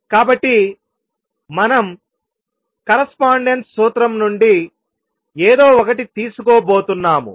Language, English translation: Telugu, So, we are going to borrow something from correspondence principle